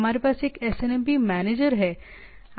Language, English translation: Hindi, We have a SNMP manager